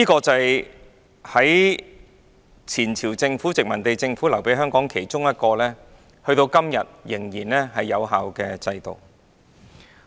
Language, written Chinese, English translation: Cantonese, 這是前朝殖民地政府留給香港其中一個至今仍然有效的制度。, Among the systems left to Hong Kong by the former colonial government the health care system is one of which that remains effective today